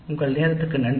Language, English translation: Tamil, Thank you for your quality time